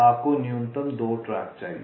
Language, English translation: Hindi, you need minimum two tracks